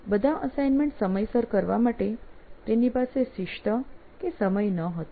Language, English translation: Gujarati, He really didn't have the time or discipline to do all the assignments on time